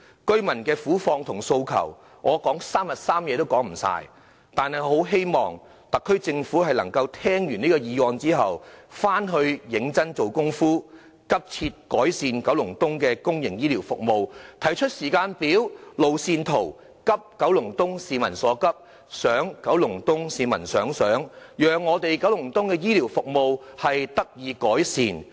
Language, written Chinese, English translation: Cantonese, 居民的苦況和訴求，我說3天3夜也說不完，但我很希望特區政府聽畢這項議案後，回去能認真下工夫，急切改善九龍東的公營醫療服務，提出時間表、路線圖，急九龍東市民所急，想九龍東市民所想，讓九龍東的醫療服務得以改善。, Enumerating the predicament and demands of the residents will keep me going for at least three days and three nights without end . But I really hope the Special Administrative Region SAR Government after listening to this motion can make real efforts to urgently improve public healthcare services in Kowloon East and propose a timetable and a roadmap in order to address the pressing needs of residents of Kowloon East and think what they think thereby improving healthcare services in Kowloon East